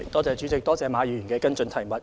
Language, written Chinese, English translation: Cantonese, 主席，多謝馬議員的補充質詢。, President I thank Mr MA for his supplementary question